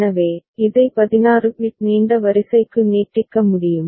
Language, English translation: Tamil, So, this can be extended to 16 bit long sequence